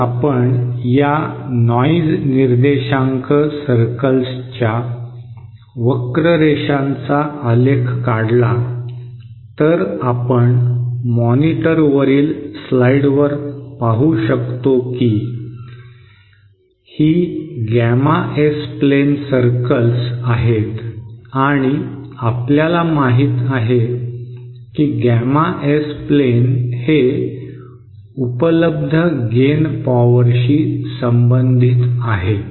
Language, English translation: Marathi, Now if we plot these curves these noise figure circles then we go to the slides on the monitor, these are the circles this the gamma S plain and we know that gamma S plain is related to the available power of gain